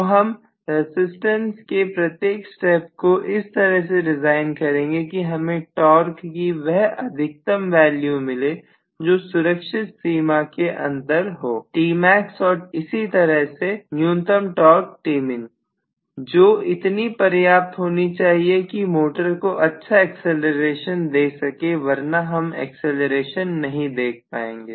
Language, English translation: Hindi, So I will design each step of the resistant in such a way that I am going to get, you know, the maximum value of torque within the safe limit that is T max and similarly the minimum value of torque as T minimum, which is good enough to accelerate the motor, otherwise I will not see any acceleration